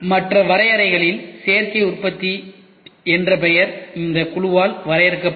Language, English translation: Tamil, Among other definitions the name Additive Manufacturing was defined by this committee